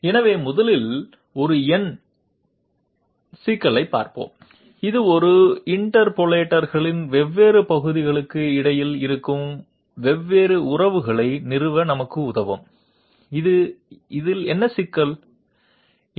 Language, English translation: Tamil, So first of all, let us take a look at a numerical problem, this will help us in establishing the different relations which exists between different parts of an interpolator, what is this problem